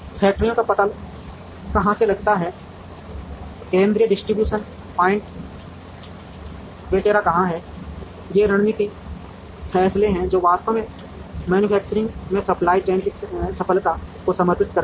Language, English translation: Hindi, Where does one locate the factories, where does one locate the central distribution points etcetera are strategic decisions, which actually dedicate the success of the supply chain in manufacturing